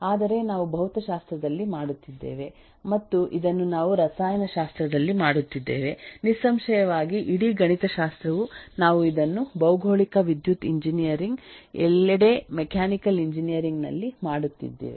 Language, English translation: Kannada, That is all that we but we have been doing this eh in physics we have been doing this is chemistry, certainly whole of mathematics is about that we have been doing this in geography, in electrical engineering, in mechanical engineering everywhere